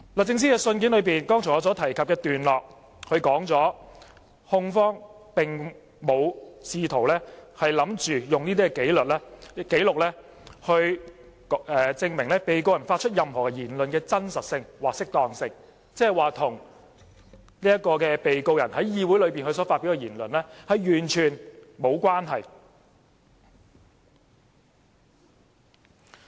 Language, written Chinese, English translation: Cantonese, 在我剛才提及律政司信件的段落中，說明控方並非試圖利用這些紀錄證明被告人發出的任何言論的真實性或適當性，即是說，文件與被告人在議會內所發表的言論完全無關。, The paragraph in DoJs letter quoted by me indicates that the prosecution is not seeking to use these records as proof of the veracity or propriety of anything said by the defendant . This means that the documents are totally unrelated to the words said by the defendant in the Council